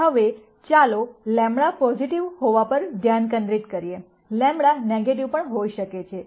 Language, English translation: Gujarati, Now let us focus on lambda being positive, lambda can be negative also